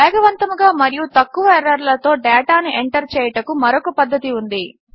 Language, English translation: Telugu, There is another way to enter data swiftly as well as with minimum errors